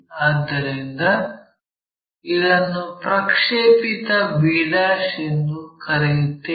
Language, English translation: Kannada, So, let us call this projected 1 b '